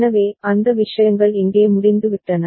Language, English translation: Tamil, So, those things are over here